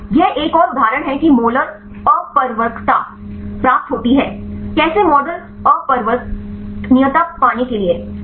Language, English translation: Hindi, This is another example get the molar refractivity; how to get the model refractivity